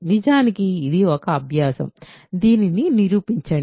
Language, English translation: Telugu, In fact, this is an exercise, prove this